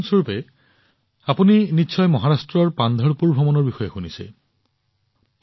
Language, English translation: Assamese, As you must have heard about the Yatra of Pandharpur in Maharashtra…